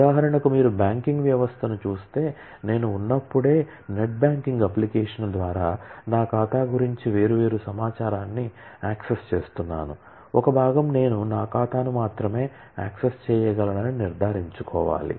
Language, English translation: Telugu, For example, if you look at a add a banking system, then while I am, by net banking application is accessing different information about my account, one part I need to ensure that I can only access my account